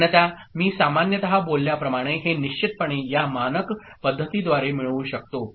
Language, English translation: Marathi, Otherwise, as I said generally speaking, we can get it for sure by a standard method like this ok